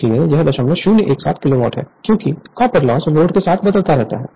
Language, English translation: Hindi, 017 Kilowatt right because copper loss varying with the load